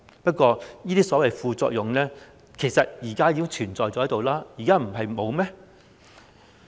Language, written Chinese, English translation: Cantonese, 不過，這些所謂副作用其實現時已經存在，難道現在沒有嗎？, That said these so - called side effects already exist now do they not?